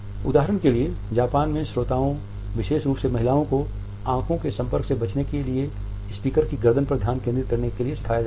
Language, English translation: Hindi, For example, in Japan listeners particularly women are taught to focus on a speaker’s neck in order to avoid eye contact